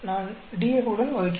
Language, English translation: Tamil, I just divide with the DF